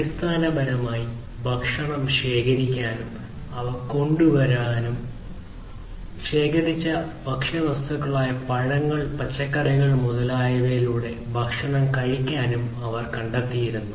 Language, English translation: Malayalam, So, basically wandering around collecting food, bringing them, eating the food through the collected samples and so on collected food materials like fruits, vegetables, etc whatever they used to find